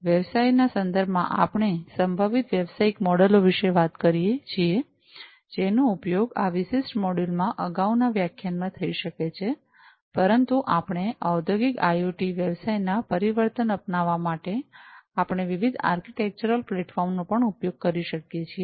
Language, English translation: Gujarati, So, so far in the context of the business, we have talked about the possible business models, that could be used in the previous lectures in this particular module, but we should be also able to use the different architectural platforms for transformation of the business for the adoption of Industrial IoT